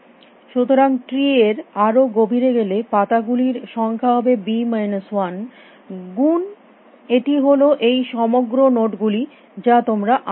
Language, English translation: Bengali, So, the number of leaves as you go deeper down tree is b minus 1 times entire set of nodes that you seen before